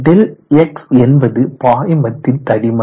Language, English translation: Tamil, x is the thickness of the fluid